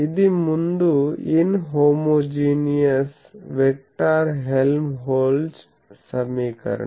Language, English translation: Telugu, This was the Helmholtz equation inhomogeneous vector Helmholtz equation earlier